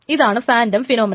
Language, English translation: Malayalam, So this is a phantom phenomenon